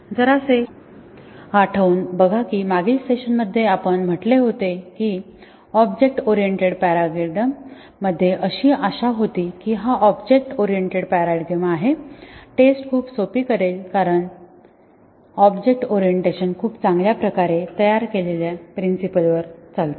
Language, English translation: Marathi, Remember that in the last session, we said that there is lot of expectation in the object oriented paradigm, in the sense that it was expected that the object oriented paradigm will make testing a very simple because the object orientation is found on very well formed principles